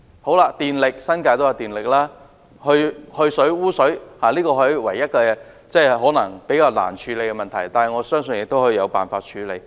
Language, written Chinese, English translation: Cantonese, 在電力方面，新界亦有電力供應，而去水和污水處理可能是唯一較難處理的問題，但我相信總有辦法處理。, As for electricity electricity supply is available in the New Territories while drainage and sewage treatment may be the only tough issue but I believe we can always find a solution